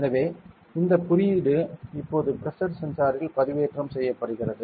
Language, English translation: Tamil, So, this code will be uploaded into the Pressure sensor now ok